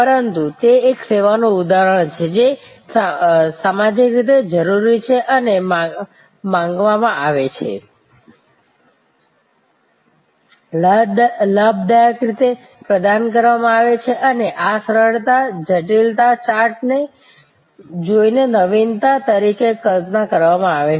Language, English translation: Gujarati, But, it is an example of a service, which is socially needed and demanded, gainfully provided and conceived as an innovation by looking at this simplicity complexity chart